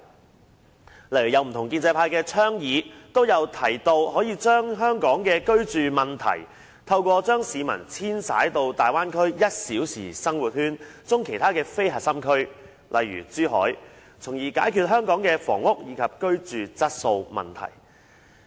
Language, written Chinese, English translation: Cantonese, 舉例而言，在不同建制派議員的倡議中，均有提到可就香港的居住問題，透過將市民遷徙到大灣區"一小時生活圈"中其他非核心區，例如珠海，從而解決香港的房屋以至居住質素問題。, For example in nearly all proposals put forward by different Members from the pro - establishment camp references have been made to the possibility of resolving the housing problem and even the problem of declining quality of living environment in Hong Kong by relocating Hong Kong people to other non - core districts located in the one - hour living circle of the Bay Area such as Zhuhai